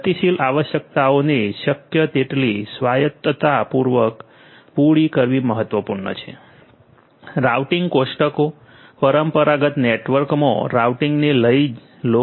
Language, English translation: Gujarati, It is important to cater to the dynamic requirements as much autonomously as possible, take for instance the routing tables, routing in traditional network